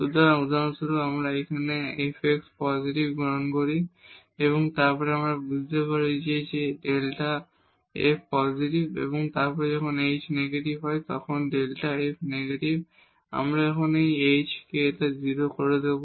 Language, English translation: Bengali, So, here for example, if we take f x positive and then we will realize that this delta f is positive and then when h is negative delta f is negative when we let this h k tends to 0